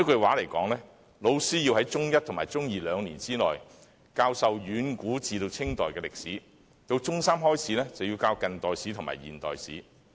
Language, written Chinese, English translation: Cantonese, 換言之，老師要在中一及中二兩年內，教授遠古至清代的歷史，到中三開始，便要教近代史和現代史。, In other words teachers have to teach in the two years of Forms One and Two history from the ancient times to the Qing Dynasty and starting from Form Three early modern history and modern history